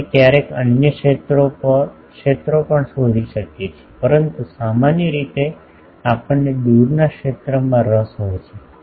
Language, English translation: Gujarati, We can find other fields also sometimes, but generally we are interested in the far field